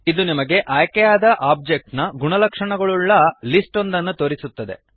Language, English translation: Kannada, It shows you a list of the properties of the selected object